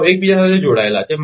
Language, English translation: Gujarati, They are interconnected